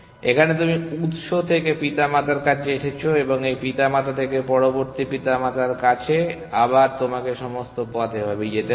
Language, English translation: Bengali, Here, you have come from the source all the way to the parent and there from this parent to the next parent again you have to go all the way and so on